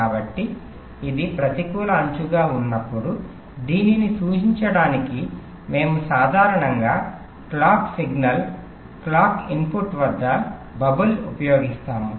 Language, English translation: Telugu, so when it is negative edge trigged, we usually use a bubble at the clock signal, clock input to indicate this